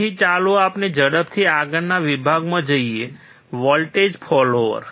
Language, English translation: Gujarati, So, let us quickly move to the next section: Voltage follower